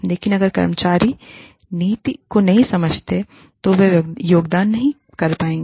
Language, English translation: Hindi, But, if the employees do not understand the policy, they will not be able to contribute